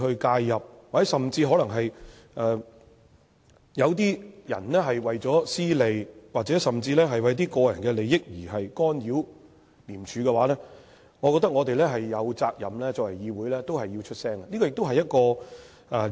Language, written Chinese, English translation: Cantonese, 假如有些人為了私利，甚至乎為了一些個人利益而干擾廉署的話，我覺得作為議會，我們有責任發聲。, If some people are interfering with the operation of ICAC for personal gains or even personal interests I think the Legislative Council has the obligation to speak out